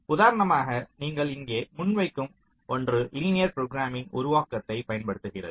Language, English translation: Tamil, for example, the one that we, that you present here, uses a linear programming formulation